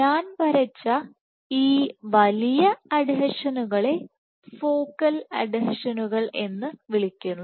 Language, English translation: Malayalam, So, these larger adhesions that I had drawn, so, these are called focal adhesions